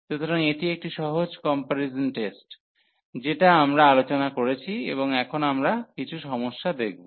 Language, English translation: Bengali, So, these are the simple comparison test which we have discussed and now we will go for some problems sample problems